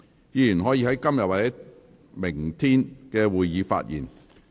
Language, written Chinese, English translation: Cantonese, 議員可在今天或明天的會議發言。, Members may speak at todays or tomorrows meeting